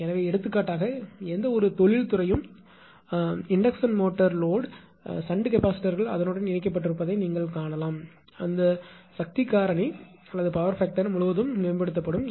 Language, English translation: Tamil, So, for example, any industry all the induction motor load you will find the shunt capacitors are connected across that across that power factor can be improved